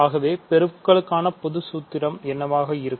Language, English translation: Tamil, So, what would be the general formula for multiplication